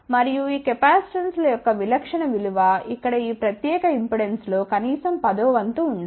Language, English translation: Telugu, And, the typical value of these capacitances again should be at least 1 10th of this particular impedance here